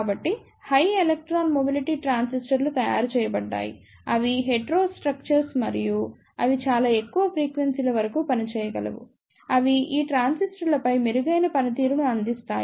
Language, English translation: Telugu, So, the High Electron Mobility Transistors are made, they are the hetero structures and they can operate up to very high frequencies, they provide better performance over these transistors